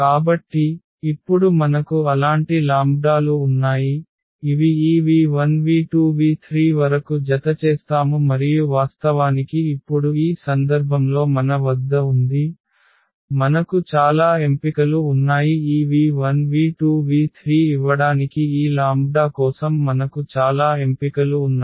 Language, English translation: Telugu, So, the question is the answer to this question is that we do have such lambdas which will add up to this v 1 v 2 v 3 and indeed now in this case we have ; we have many choices; we have many choices for these lambdas to give this v 1 v 1 v 1